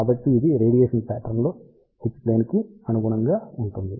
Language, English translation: Telugu, So, that corresponds to h plane radiation pattern